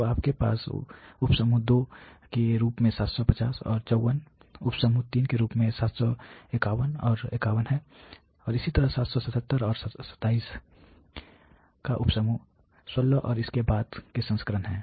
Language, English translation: Hindi, So, you have 750 and 54 as sub group 2, 751 and 51 as sub group 3 so and so far up to 777 and 27 has sub group 16 so and so forth